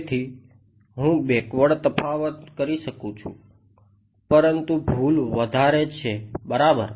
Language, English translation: Gujarati, So, I could do backward difference, but error is high ok